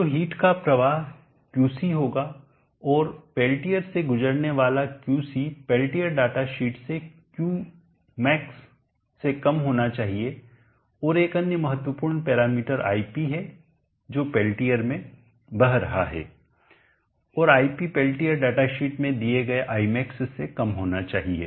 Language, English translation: Hindi, So the heat flow will be Qc and Qc passing through the Pelletier should be less than Qmax from the Pelletier data sheet and another important parameter is Ip the current that is flowing into the Pelletier and that Ip should be < Imax as given in the Pelletier data sheet